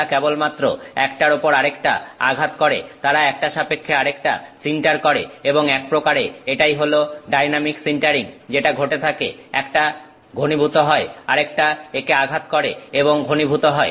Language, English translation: Bengali, They just for hit one on top of the other, they sinter with respect to each other and this is sort of a dynamic sintering that is happening; one is solidifying the other hits it that is also solidifying